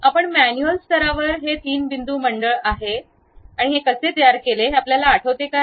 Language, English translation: Marathi, Ah Do you remember like how we have constructed that three point circle at manual level